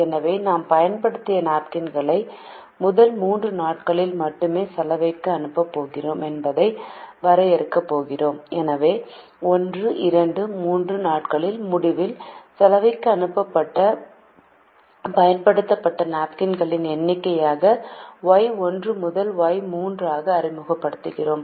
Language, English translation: Tamil, therefore we are going to define that we are going to send used napkins to the laundry only on the first three days and therefore we introduce y one to y three as the number of used napkins sent to the laundry at the end of days one, two and three